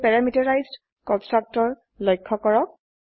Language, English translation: Assamese, Now, notice the parameterized constructor